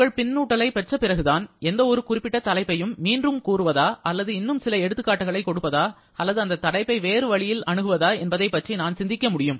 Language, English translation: Tamil, And it is only after getting your responses, I can think about repeating any particular topic or giving some more examples or maybe approaching a topic in a different way